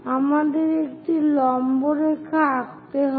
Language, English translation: Bengali, We have to draw a perpendicular line